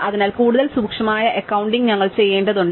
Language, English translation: Malayalam, So, we need to do what is more careful accounting